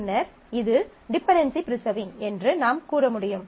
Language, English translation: Tamil, Then, we will be able to say that this is dependency preserving